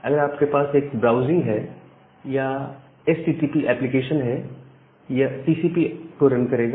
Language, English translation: Hindi, So, if you are having a browsing or HTTP application that will run TCP